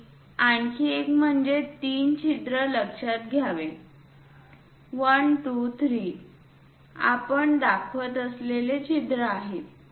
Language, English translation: Marathi, And one more thing one has to notice three holes; 1, 2, 3, holes we are showing